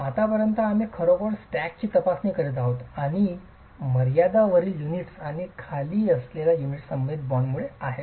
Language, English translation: Marathi, As of now, we are actually examining the stack and the confinement is because of the bond with the unit above and the unit below